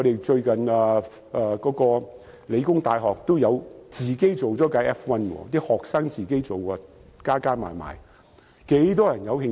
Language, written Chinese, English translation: Cantonese, 最近香港理工大學有學生自製了一輛 F1 車，其實很多人對這方面也有興趣。, Recently some students of The Hong Kong Polytechnic University have created an F1 car . In fact many people are interested in this area